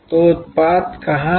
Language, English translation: Hindi, So, where is the product